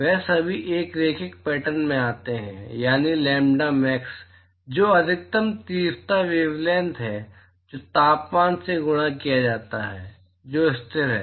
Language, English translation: Hindi, They all fall into a linear pattern, that is, the lambda max which is the maximum intensity wavelength multiplied by temperature so, that is at constant